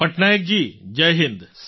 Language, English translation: Gujarati, Patnaik ji, Jai Hind